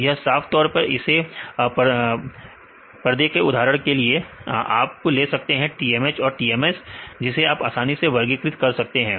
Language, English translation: Hindi, This will clearly separate this is the group one or for example, you take the TMH and this is TMS you can easily classify right